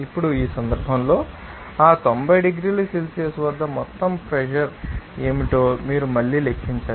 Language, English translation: Telugu, Now, in this case again you have to you know, calculate what should be the total pressure at that 90 degree Celsius